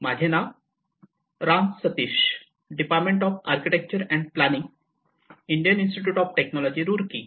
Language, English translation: Marathi, My name is Ram Sateesh, I am a faculty from department of architecture and planning, Indian Institute of Technology Roorkee